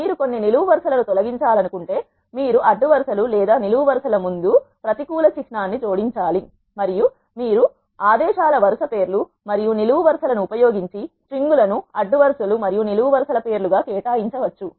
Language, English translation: Telugu, If you want to remove some columns you need to add a negative symbol before the rows or columns, and you can also assign strings as names of rows and columns by using the commands row names and row columns